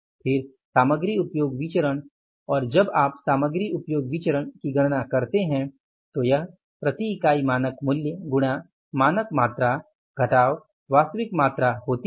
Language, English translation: Hindi, Then the material usage variance and when you calculate the material usage variance, this is the standard price per unit, standard price per unit into standard quantity, standard quantity minus actual quantity